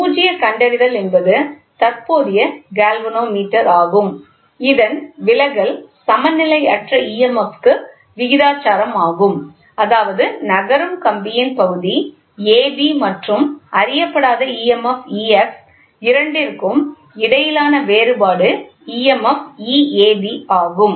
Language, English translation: Tamil, The null detector is a current galvanometer whose deflection is proportional to unbalanced emf that is that difference between the emf absolute across portion ab of sliding wire and the unknown emf E x as soon as both are equal